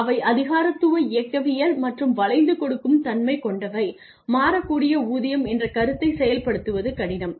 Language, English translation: Tamil, They tend to be bureaucratic mechanistic and inflexible so it is difficult it becomes difficult to implement the concept of variable pay